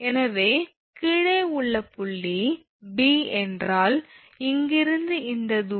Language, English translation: Tamil, So, below point B means this distance from here to here this distance d 2 minus d 1